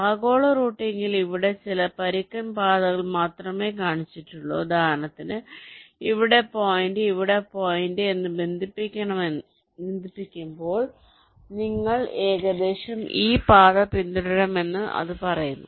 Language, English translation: Malayalam, so in global routing, here only some rough paths are shown, like, for example, when you connect ah, let say ah point here to ah point